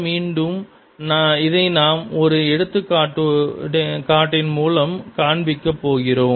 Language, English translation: Tamil, again, will show it through an example